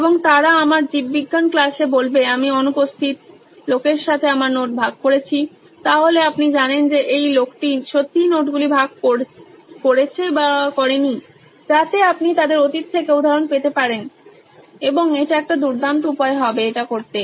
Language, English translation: Bengali, And they would say in my biology class I have shared my notes with guy who was absent, so then you know this guy is really shared the notes or not, so that way you can get instances from their past and that would be a great way to do it